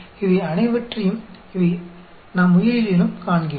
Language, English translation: Tamil, So, all these, we see in biology also